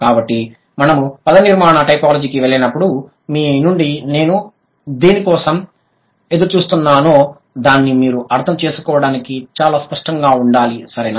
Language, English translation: Telugu, So, when we go to the morphological typology, you should be very clear what exactly I look forward to from you to understand, right